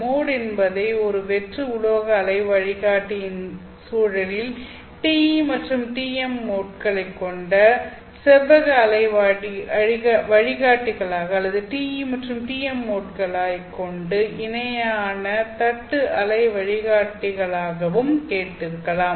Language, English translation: Tamil, So you might have heard of this term mode in the context of an hollow metallic waveguide, you know the rectangular waveguides which have modes of T E and TM or a parallel plate waveguide which has modes T E and T M